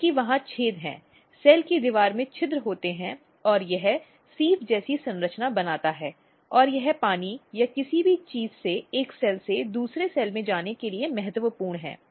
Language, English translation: Hindi, Because there are holes there are pores in the cell wall and it makes a kind of structure like sieve and that is important for water or anything to move from one cell to another cell